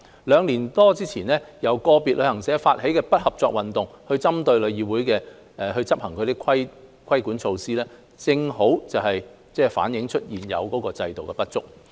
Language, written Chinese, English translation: Cantonese, 兩年多前，由個別業界人士發起的"不合作運動"，就是針對旅議會所執行的規管措施，正好反映現有制度的不足。, About two years ago the non - cooperation movement against the regulatory measures implemented by TIC launched by individual members of the industry reflected the inadequacy of the existing regime